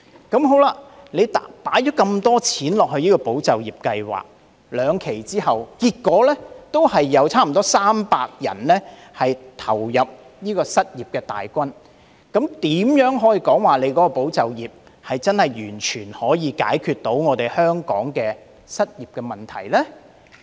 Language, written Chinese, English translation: Cantonese, 儘管投放那麼多公帑在"保就業"計劃，但在兩期計劃結束後，結果還是有近300人投入失業大軍，這怎能說"保就業"計劃能完全解決香港的失業問題呢？, Despite the large amount of public money allocated to ESS nearly 300 people still lost their job upon the completion of the two tranches of ESS . How can he say that ESS can completely resolve the unemployment problem in Hong Kong?